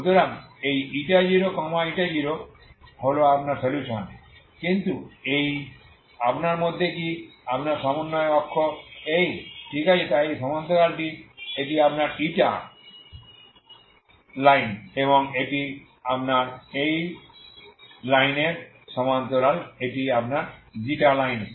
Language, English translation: Bengali, So this(η0,η0) is what is your solution this is what is the in this what is your, your coordinate axis is this, okay so this is parallel to this is your Eta line and this is your this is parallel to this line so this is your ξ line